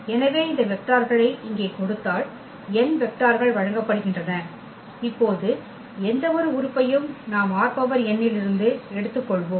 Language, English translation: Tamil, So, given these vectors here n vectors are given and now any element if we take from this R n so, any this is R n